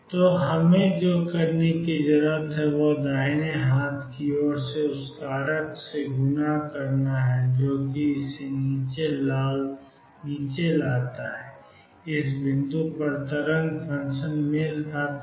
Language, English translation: Hindi, So, what we need to do is multiply the right hand side to the factor that brings it down makes the wave function match at this point